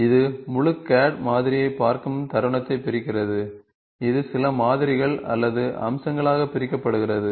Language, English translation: Tamil, So, it splits, it moment it sees the full CAD model, it gets into it divided into some models or features